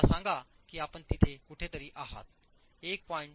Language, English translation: Marathi, Let's say you're somewhere there, 1